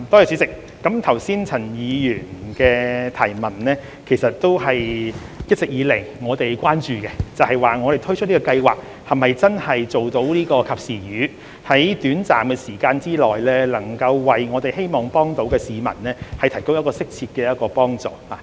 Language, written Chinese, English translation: Cantonese, 主席，陳議員剛才的補充質詢也是我們一直以來所關注的，即推出這項計劃是否真的可以做到"及時雨"，我們希望在短時間內為市民提供適切的幫助。, President Mr CHANs supplementary question has been our concern all along ie . whether PLGS can really provide timely relief and appropriate assistance to the people within a short time